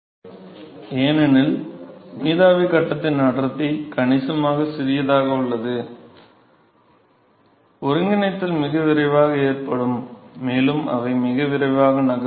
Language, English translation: Tamil, So, the heat is primarily carried by vapor because the density of the vapor phase is significantly smaller, and so the coalescence will occur very quickly and they also move very quickly